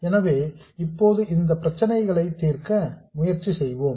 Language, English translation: Tamil, So, now we will try to solve these problems